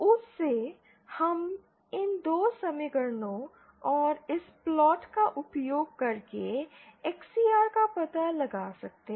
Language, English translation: Hindi, From that, we can find out XCR using these 2 equations and this plot